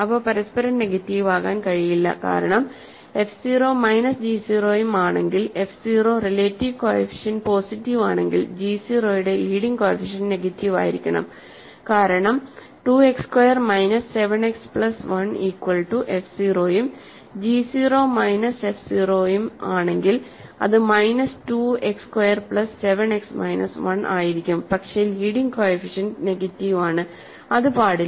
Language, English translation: Malayalam, They cannot be negative of each other, right, because if f 0 minus g 0 and if f 0 is relative coefficient positive then leading coefficient of g 0 has to be negative because if 2 2 X squared minus 7 X plus 1 is f 0 and g 0 is minus f 0, it will be minus 2 X squared plus 7 X minus 1, but then the leading coefficient is negative which it cannot be